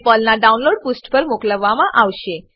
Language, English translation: Gujarati, You will be directed to the download page of PERL